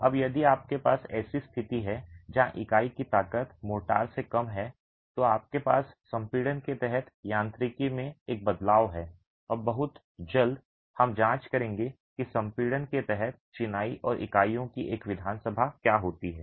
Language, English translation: Hindi, Now if you have a situation where the unit strength is lesser than the motor, you have a change in the mechanics under compression and very soon we will be examining what happens to an assembly of masonry and units under compression